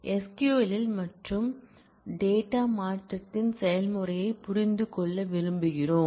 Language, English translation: Tamil, In SQL and we would like to understand the process of data modification